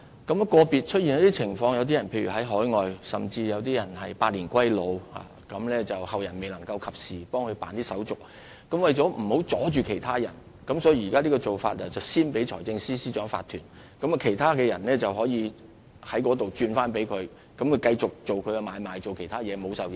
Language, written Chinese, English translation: Cantonese, 遇有個別情況，例如擁有人身在海外甚或已經百年歸老，但後人未能及時替他辦理手續，為免阻礙其他業主，現時的做法是先把契約批予財政司司長法團，然後再轉讓予其他人，讓他們繼續進行買賣或其他事宜，免受影響。, For individual cases say the owner is out of town or has even passed away but his descendants have failed to promptly take care of the matter for him so in order not to hold up other owners the current practice is to first grant the lease to the Financial Secretary Incorporated and then transfer the title to a third party for subsequent transaction or other purposes so as to avoid any delay